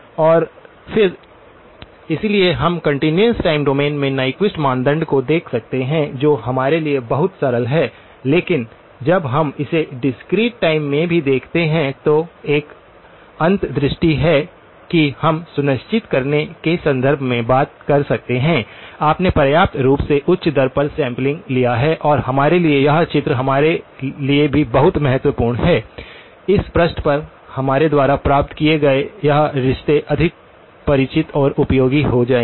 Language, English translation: Hindi, And then, so we can look at the Nyquist criterion in the continuous time domain which is very straight forward for us but when we look at it in the discrete time also, there is an insight that we can talk about in terms of make sure that you have sampled at a sufficiently high rate and that is very important for us to have this picture as well now, this relationships that we have derived on this page will become more familiar and useful